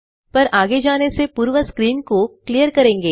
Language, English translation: Hindi, But before we move on, let us clear our screen